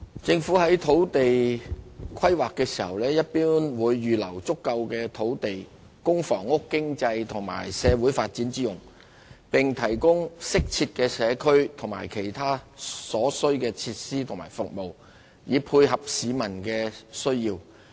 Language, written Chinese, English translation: Cantonese, 政府在土地規劃時一般會預留足夠土地供房屋、經濟及社會發展之用，並提供適切的社區或其他所需設施和服務，以配合市民需要。, Generally speaking when carrying out land use planning the Government will reserve adequate land for housing economic and social developments and provide appropriate community or other necessary facilities and services to meet the public needs